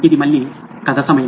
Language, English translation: Telugu, It’s story time again